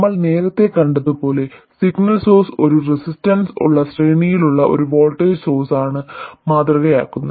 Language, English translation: Malayalam, The signal source, as we have seen earlier, is modeled by a voltage source in series with a resistance